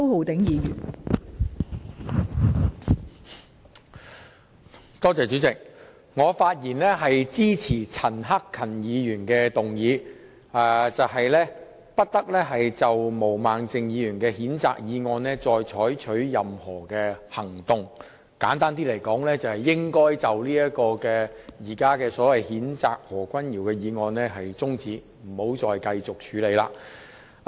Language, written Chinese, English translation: Cantonese, 代理主席，我發言支持陳克勤議員的議案，其內容是不得就毛孟靜議員動議的譴責議案採取任何行動，簡單而言，就是中止現時有關譴責何君堯議員議案的辯論。, Deputy President I rise to speak in support of Mr CHAN Hak - kans motion that no action be taken on the censure motion moved by Ms Claudia MO . Simply put it is to suspend the current debate on the motion to censure Dr Junius HO . The reason I support Mr CHAN Hak - kans motion is simple